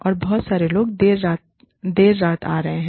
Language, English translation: Hindi, And, too many people are coming, the late at night